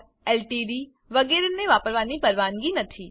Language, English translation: Gujarati, Ltd etc are not allowed